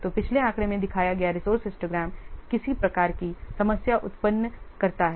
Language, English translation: Hindi, The resource histogram shown in the previous figure poses some problems